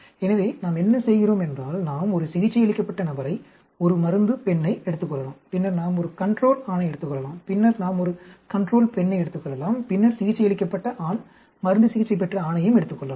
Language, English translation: Tamil, So, what we do is, we may take a treated person, a drug female and then we could take a control male, then we could take a control female and then we could take a treated male, drug treated male